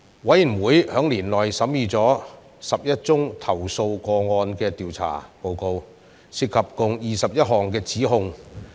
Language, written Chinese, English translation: Cantonese, 委員會在年內審議了11宗投訴個案的調查報告，涉及共21項指控。, Of the 11 investigation reports covering 21 allegations considered by the Committee in the year three allegations in three complaints were found to be substantiated